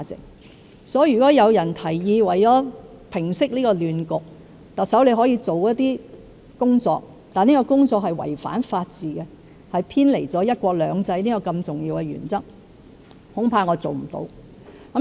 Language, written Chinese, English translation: Cantonese, 因此，如果有人為了平息這亂局而提議特首做一些工作，但這些工作違反法治及偏離"一國兩制"這個重要原則，恐怕我做不到。, Therefore if anyone suggests the Chief Executive to do certain work to resolve this chaos but such work contravenes the rule of law and deviates from the essential principle of one country two systems I am afraid I cannot do so